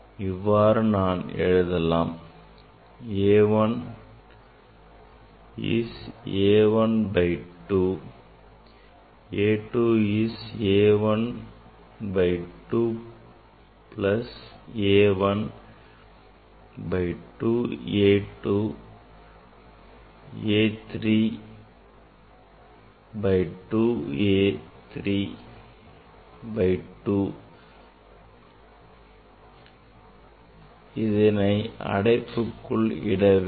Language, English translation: Tamil, here you can show you can if it is odd you see I can write A 1 is A 1 by 2 A 2 is A 1 by 2 plus A 1 by 2 A 2 A 3 A 3 by 2 A 3 by 2 this I put in a bracket